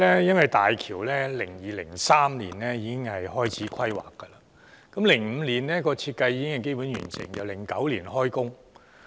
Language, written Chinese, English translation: Cantonese, 因為2002年及2003年時開始規劃大橋 ，2005 年時設計已經基本完成，然後直到2009年動工。, Because in 2002 and 2003 the planning of HZMB started; in 2005 the design was basically completed; and in 2009 the construction commenced